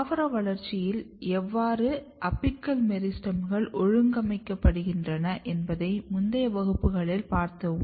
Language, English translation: Tamil, And you have seen in previous classes that how shoot apical meristems are organized during vegetative growth and development